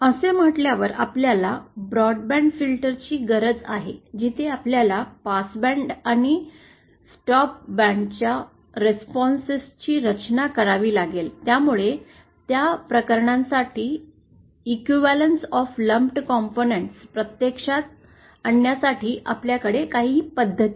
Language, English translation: Marathi, Having said that, we do have a need for say broadband filters where we have to design the responses of the passband and the stop band, so for that cases, we do have some methods to realise the equivalence of lumped components